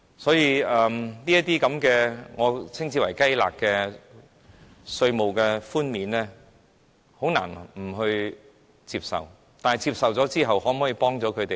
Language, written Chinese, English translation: Cantonese, 所以，這些我稱之為"雞肋"的稅務寬減，我們很難不接受，但可否幫助他們呢？, Hence we can hardly reject these tax concessions which are of little value but can they help them?